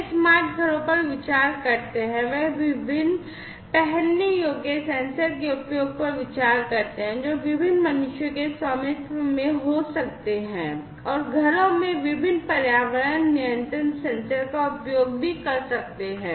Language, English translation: Hindi, They consider the smart homes, they consider the use of different wearable sensors, which could be owned by different humans, and also the use of different environment control sensors at homes